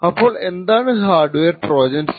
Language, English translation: Malayalam, So, what exactly constitutes a hardware Trojan